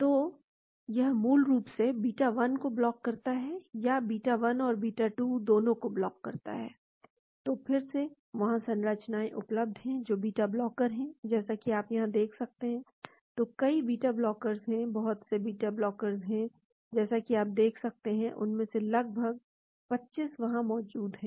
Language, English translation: Hindi, So, it basically blocks the beta 1 or it blocks both beta 1 and beta 2, so again, there are structures available which are beta blocker as you can see here, so there are many beta blockers; lot of beta blockers as you can see almost 25 of them are there